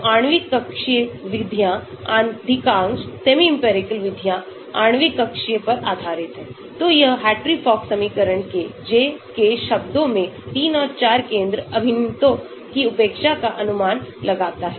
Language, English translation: Hindi, so the molecular orbital methods, most of the semi empirical methods are based on molecular orbital, so it approximates neglect of 3 and 4 center integrals in the J, K terms of the Hartree Fock equation